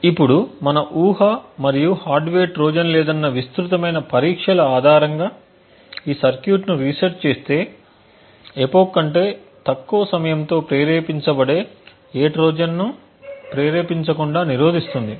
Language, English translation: Telugu, Now based on our assumption and the extensive testing that there are no hardware Trojan that can be triggered with a time less than an epoch resetting this circuit would prevent any Trojan from being triggered